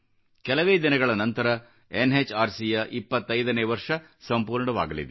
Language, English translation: Kannada, A few days later NHRC would complete 25 years of its existence